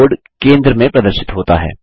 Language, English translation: Hindi, The Keyboard is displayed in the centre